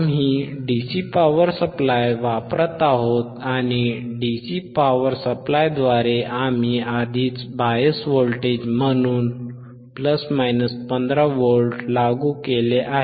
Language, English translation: Marathi, We are using the dcDC power supply, and through dcDC power supply we have already applied plus minus 15 volts as bias voltage